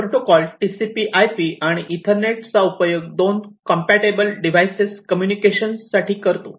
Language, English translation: Marathi, So, it uses the TCP/IP and the Ethernet for data transmission between different compatible devices